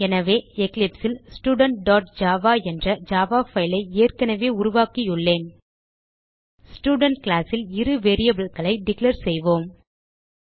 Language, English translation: Tamil, So in the eclipse, I have already created a java file, Student.java In the Student class we will declare two variables